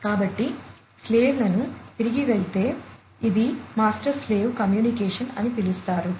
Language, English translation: Telugu, So, going back the slaves so, I said that it is master slave communication